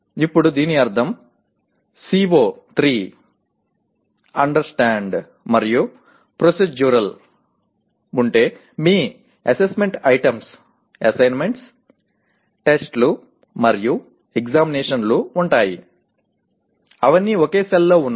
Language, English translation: Telugu, Now that means if CO3 is located in Understand and Procedural your assessment items that is assessment items include assignments, tests, and examination all of them are located in the same cell, okay